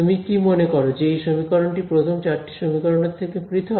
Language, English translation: Bengali, Do you think that this equation is independent of the first four equations